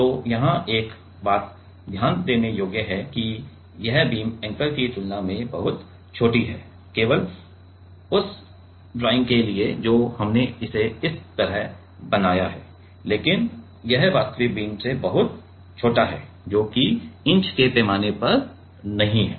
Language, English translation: Hindi, So, here one point to note is this beams are much smaller than the anchor just for the drawing we have made it like that, but it is much smaller than the actual beam so, which is not on inch scale ok